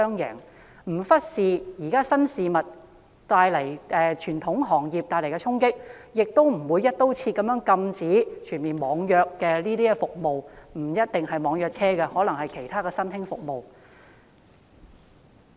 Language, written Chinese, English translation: Cantonese, 就是不忽視現時新興經濟對傳統行業帶來的衝擊，亦不會"一刀切"禁止網約服務——不一定是網約車，可能是其他新興服務。, We should not ignore the impacts of the new economy on the traditional industries and make sure that their interests are protected . At the same time the online car hailing service or other forms of new services should not be banned in a broad - brush manner